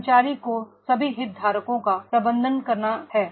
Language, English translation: Hindi, That is employee has to manage all the stakeholders